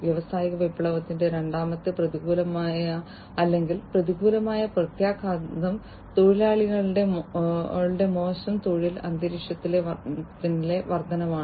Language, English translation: Malayalam, Second adverse or, negative effect of industrial revolution was the increase in the bad working environment of the workers